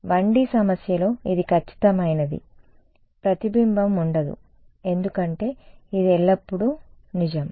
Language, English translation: Telugu, In a 1 D problem it is perfect there is going to be no reflection because this is always true ok